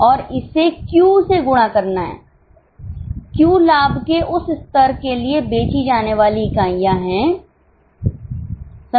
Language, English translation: Hindi, Q is a number of units required to be sold for that level of profit